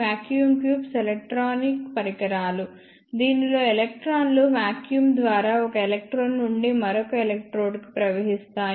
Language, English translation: Telugu, Vacuum tubes are the electronic devices in which electrons flow through vacuum from one electrode to another electrode